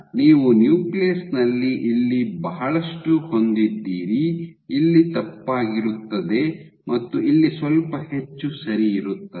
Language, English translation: Kannada, So, you have in the nucleus you have a lot here, miscue will here, and somewhat more here ok